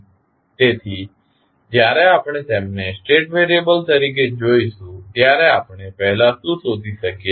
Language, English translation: Gujarati, So, when we see them as a state variable, what we can first find